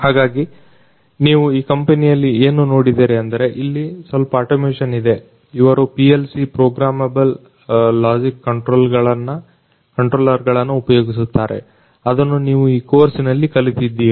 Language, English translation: Kannada, So, what we have seen is that in this particular company there is some automation, they use PLC Programmable Logic Controllers, which you have studied in this particular course